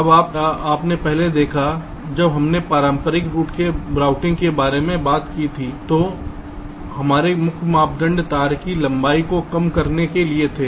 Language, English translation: Hindi, now, you see, earlier, when we talked about the traditional routing, there, our main criteria was to minimize the wire length